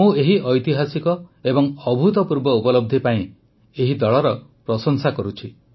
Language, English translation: Odia, I commend the team for this historic and unprecedented achievement